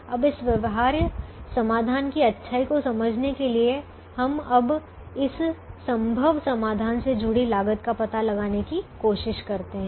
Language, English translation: Hindi, now, to understand the goodness of this feasible solution, we now try to find out the cost associated with this feasible solution